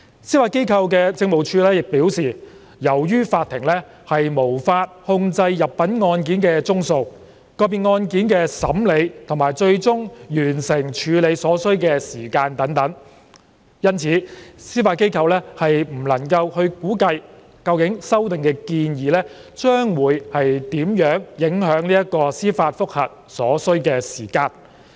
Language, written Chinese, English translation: Cantonese, 司法機構政務處表示，由於法庭無法控制入稟案件的宗數、個別案件的審理及最終完成處理所需的時間等，因此司法機構不能估計究竟修訂建議將會如何影響處理司法覆核案件所需的時間。, The Judiciary Administration has advised that since such factors as the number of cases filed as well as the time needed for the processing and the eventual disposal of an individual case are beyond the control of the courts it is not in a position to estimate how the proposed amendments will impact on the time taken to process a JR case